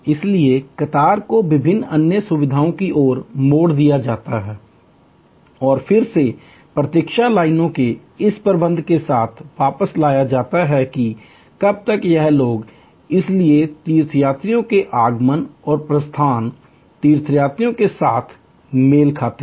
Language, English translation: Hindi, So, the queue is diverted to various other facilities and again brought back with this management of the waiting line estimation of how long it will take and so arrival of pilgrims and departure of pilgrims are matched